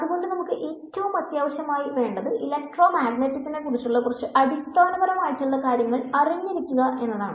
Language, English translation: Malayalam, So, it is important that we become comfortable with some basic ideas that are useful for electromagnetics